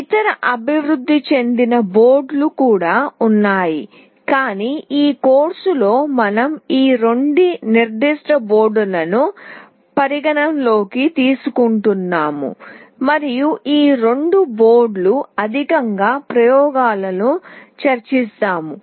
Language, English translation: Telugu, There are other development boards as well, but in this course we will be taking the opportunity to take these two specific boards into consideration and we will be discussing the experiments based on these two boards